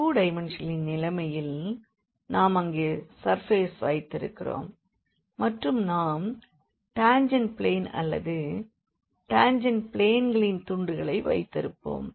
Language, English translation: Tamil, In case of the 2 dimensional so, we have the surface there and we will take the tangent plane or the pieces of the tangent plane